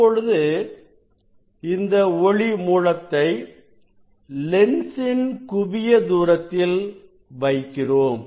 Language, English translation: Tamil, we will put this source at the focal point of this lens